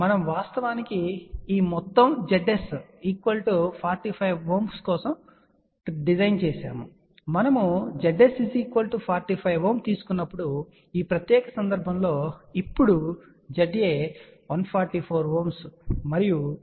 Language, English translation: Telugu, We actually designed this whole thing for Z s equal to 45 ohm and when we took Z s equal to 45 ohm in this particular case now Z a is 144 ohm and Z b is 97